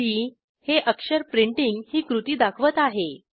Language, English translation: Marathi, p denotes the action, which is printing